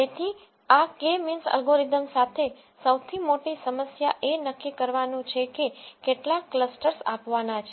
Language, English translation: Gujarati, So, biggest problem with this K means algorithm is to figure out what number of clusters has to be given